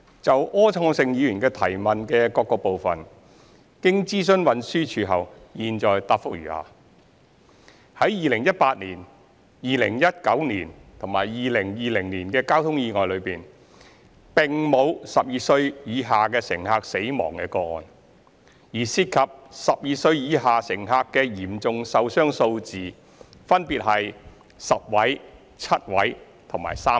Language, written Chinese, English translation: Cantonese, 就柯創盛議員的質詢的各個部分，經諮詢運輸署後，現答覆如下：一在2018年、2019年及2020年的交通意外中，並沒有12歲以下乘客死亡的個案，而涉及12歲以下乘客的嚴重受傷數字分別為10位、7位及3位。, Having consulted the Transport Department TD my reply to the various parts of Mr Wilson ORs question is as follows 1 In the traffic accidents in 2018 2019 and 2020 there were no fatal cases of passengers under the age of 12 while the numbers of passengers under the age of 12 sustaining serious injuries were 10 7 and 3 respectively